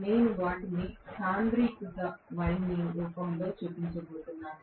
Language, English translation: Telugu, I am showing them in the form of concentrated winding